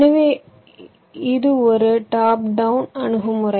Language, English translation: Tamil, so this is the top down approach